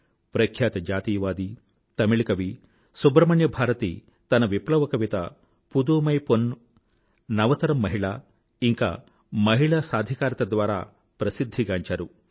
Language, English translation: Telugu, Renowned nationalist and Tamil poet Subramanya Bharati is well known for his revolutionary poem Pudhumai Penn or New woman and is renowned for his efforts for Women empowerment